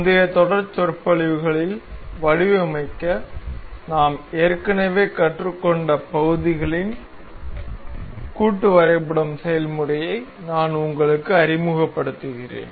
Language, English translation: Tamil, I shall introduce you with the assembling process of the parts that we have already learned to design in the previous series of lectures